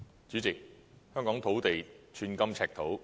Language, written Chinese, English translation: Cantonese, 主席，香港土地寸金尺土。, President in Hong Kong every piece of land is very precious